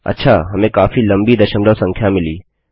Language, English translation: Hindi, Okay, we have got a quiet long decimal number